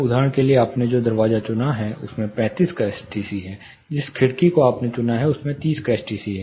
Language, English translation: Hindi, For example, the door which you chose has a STC of 35, the window which you chose has an STC of 30